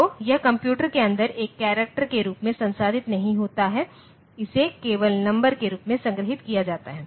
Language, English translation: Hindi, So, it is not processed as a character inside the computer, it is stored as number only